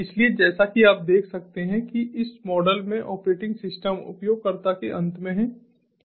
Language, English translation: Hindi, so, as you can see over here, in this model the operating system is at the user end, in the platform as a service